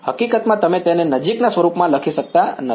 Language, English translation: Gujarati, In fact, it you cannot write it in close form